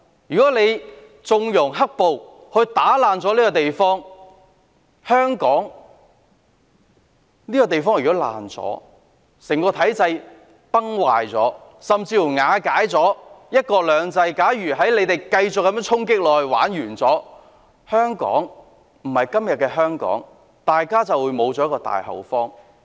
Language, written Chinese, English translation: Cantonese, 如果有人縱容"黑暴"破壞香港這個地方，令整個體制崩壞，甚至瓦解"一國兩制"，香港會因為他們繼續這樣衝擊而完蛋，不再是今天的香港，大家便會失去這個大後方。, If anyone winks at the black - clad rioters ruining Hong Kong causing the entire system to break down and even one country two systems to fall apart Hong Kong persistently hit by them in this way will be doomed and cease to be how it is today . We will lose this hinterland